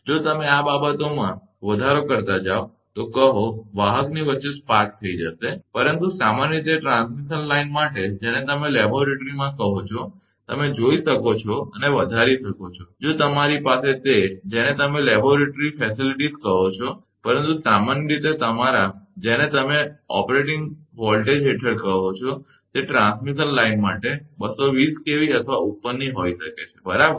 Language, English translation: Gujarati, If you go on increasing this things then, is spark over will take place between the say conductor, but generally for transmission line, the your what you call in laboratory, you can go and increasing, if you have that, your what you call laboratory facilities, but for transmission line in general your what you call the under normal operating voltage, it may be 220 kV or above right